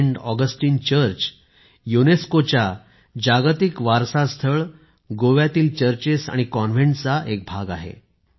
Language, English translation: Marathi, Saint Augustine Church is a UNESCO's World Heritage Site a part of the Churches and Convents of Goa